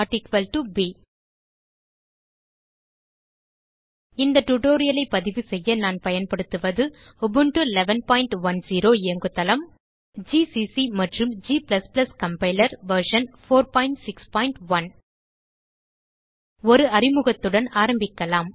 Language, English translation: Tamil, a#160.= b To record this tutorial, I am using: Ubuntu 11.10 as the operating system gcc and g++ Compiler version 4.6.1 in Ubuntu